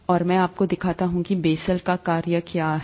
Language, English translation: Hindi, And, let me show you what a Bessel’s function is, just to make you happy